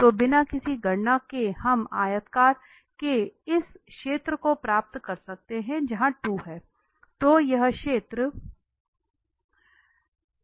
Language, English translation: Hindi, So without a further calculation we can get this area of the rectangular which is 2 here